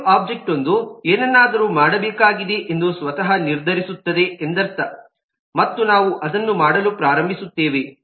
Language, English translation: Kannada, simply means that an active object by itself will decide that something needs to be done, and we will start doing that